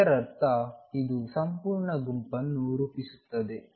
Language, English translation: Kannada, So, this means that this forms a complete set